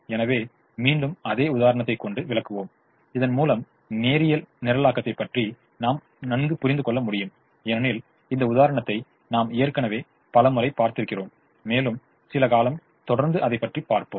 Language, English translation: Tamil, so again we use the same example to illustrate, so that we can have a better understanding of linear programming, because we have seen this example so many times already and we will continue to see it for some more time